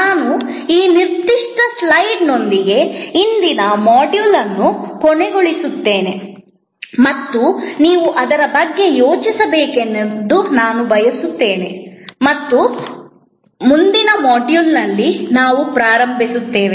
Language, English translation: Kannada, I will end today's this module with this particular slide and I would like you to think about it and this is where, we will begin in the next module